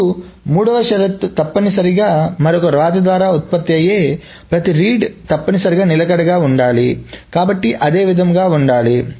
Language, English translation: Telugu, Now the third condition is essentially saying that every read that is produced by another right must be consistent, so must be the same